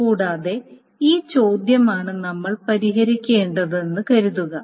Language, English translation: Malayalam, And suppose this is a query that we need to solve